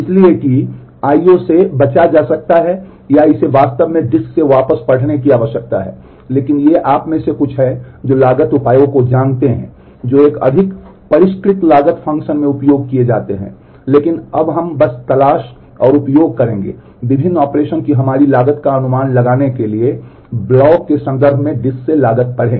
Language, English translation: Hindi, So, that the I/O can be avoided or it needs to be actually read back from the disk, but these are some of the you know cost measures that are used in a more sophisticated cost function, but we will simply use the seek and read cost from the disk in terms of blocks to estimate our cost of the different operation